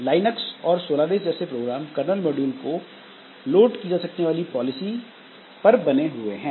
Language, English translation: Hindi, So, Linux solar is, so they are based on this loadable kernel modules policy